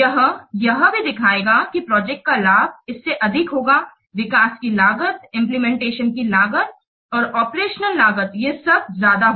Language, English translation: Hindi, It will also show that the benefits of the project that will exceed, that will outweigh the cost of the development, cost of implementation and the operation cost